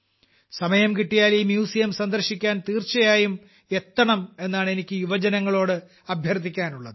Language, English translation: Malayalam, I would like to urge the youth that whenever they get time, they must visit it